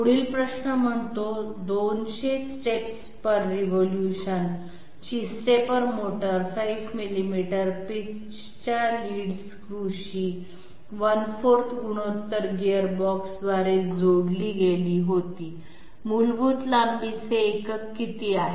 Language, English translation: Marathi, Next Question says, a stepper motor of 200 steps per revolution okay was connected via a 1 4th ratio gearbox to a lead screw of 5 millimeters pitch, the basic length unit is, we have to find out the basic length unit